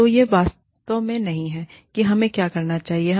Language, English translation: Hindi, So, that is not really what, we should be doing